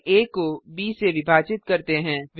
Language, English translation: Hindi, We divide a by b